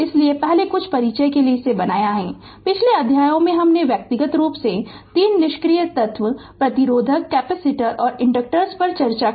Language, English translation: Hindi, So, first ah some introduction I have made it for you that in the previous chapters we have considered 3 passive elements resistors capacitors and inductors individually